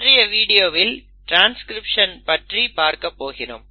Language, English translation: Tamil, For this video we will stick to transcription